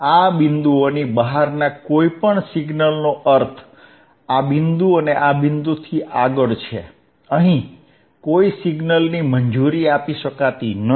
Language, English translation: Gujarati, aAny signal outside these points means withbeyond this point, and this point, no signal here can be allowed